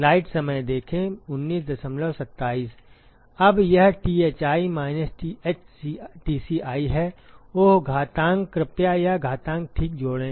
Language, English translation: Hindi, Now, this is Thi minus Th Tci; oh exponential, please add an exponential ok